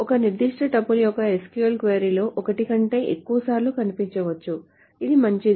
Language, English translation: Telugu, So a particular tuple may come, they show up more than one time in an SQL query, which is fine